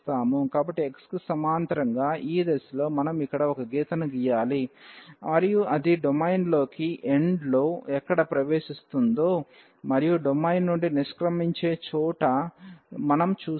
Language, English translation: Telugu, So, we need to draw a line here in the direction of this a parallel to x, and we was see there where it enters the domain and where it exit the domain